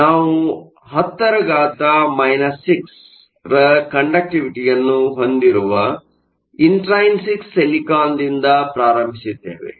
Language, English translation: Kannada, So, we started out with intrinsic silicon which has a conductivity of around 10 to the minus 6